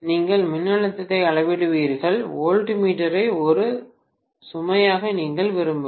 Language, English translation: Tamil, You are just measuring the voltage, you do not want to a voltmeter as a load, do you